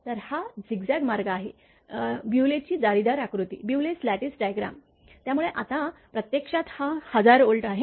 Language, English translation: Marathi, So, this is the zigzag path, the Bewley’s lattice diagram So, now actually this is 1000 Volt